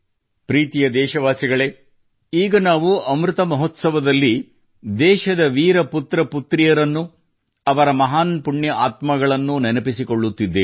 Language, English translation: Kannada, during this period of Amrit Mahotsav, we are remembering the brave sons and daughters of the country, those great and virtuous souls